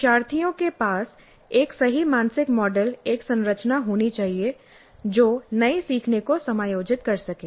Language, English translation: Hindi, And the learners must have a correct mental model, a structure which can accommodate the new learning